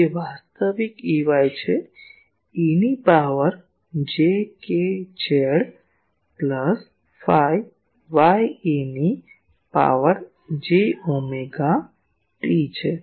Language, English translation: Gujarati, It is real E y, E to the power j k z plus phi y E to the power j omega t